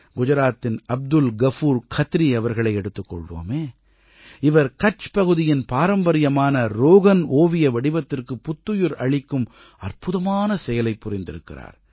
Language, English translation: Tamil, Take the case of Abdul Ghafoor Khatri of Gujarat, whohas done an amazing job of reviving the traditional Rogan painting form of Kutch